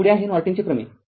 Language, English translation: Marathi, Next is your Norton theorem